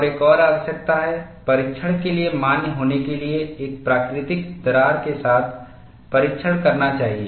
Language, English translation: Hindi, And another requirement is, for the test to be valid, one should do the test, with a natural crack